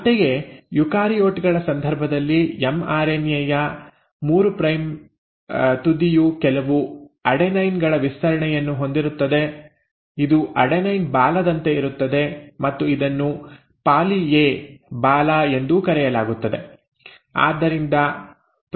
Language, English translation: Kannada, Similarly the 3 prime end of the mRNA in case of eukaryotes will have a stretch of a few adenines, this is like an adenine tail and this is also called as a poly A tail